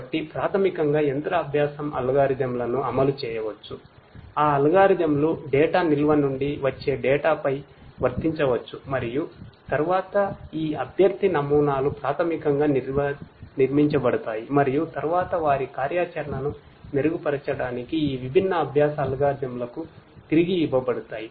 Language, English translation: Telugu, So, basically machine learning algorithms could be implemented those algorithms could be applied and applied on the data that comes from the data store and then these candidate models are basically built and then are fed back to these different learning algorithms to you know to improve upon their course of action